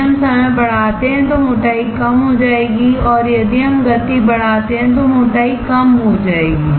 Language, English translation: Hindi, If we increase the time the thickness will decrease and if we increase the speed the thickness will decrease